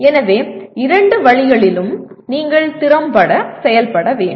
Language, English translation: Tamil, So both ways you have to work effectively